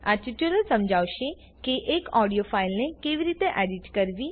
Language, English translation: Gujarati, This tutorial will explain how to edit an audio file